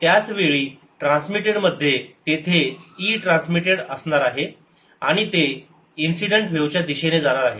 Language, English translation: Marathi, there is is going to be e transmitted and it is going in the same direction as the incident wave